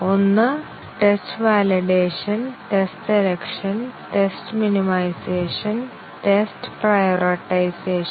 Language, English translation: Malayalam, One is test validation, test selection, test minimization and test prioritization